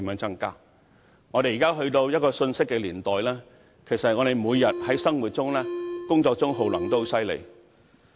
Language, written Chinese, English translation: Cantonese, 如今，我們已進入一個信息年代，我們每天在生活和工作上的耗能量也很厲害。, Now as we have already entered an information age our energy consumption in daily life and work is astonishing